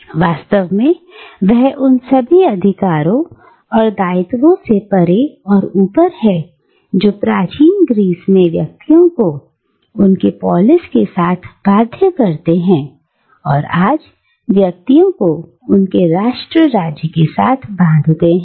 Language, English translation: Hindi, And he is, in fact, beyond and above all the rights and obligations that bound individuals in ancient Greece with their polis, and binds individuals today with their nation state